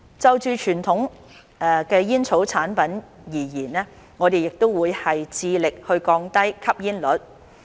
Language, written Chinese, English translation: Cantonese, 就傳統煙草產品而言，我們亦會繼續致力降低吸煙率。, For conventional tobacco products we will also continue our efforts to reduce smoking prevalence